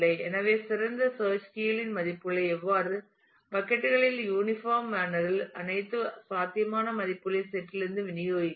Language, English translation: Tamil, So, the ideal one would be which will distribute the different search keys values in different buckets in an uniform manner to the from the set of all possible values